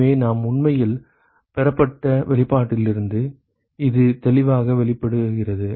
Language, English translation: Tamil, So, that comes out clearly from the expression that we actually derived